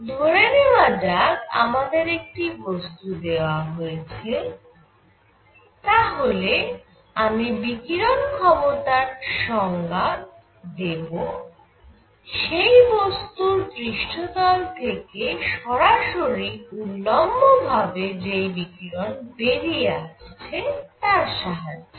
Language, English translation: Bengali, Suppose I am given a body, I am defining emissive power and from a surface I look at the radiation coming out perpendicular to the surface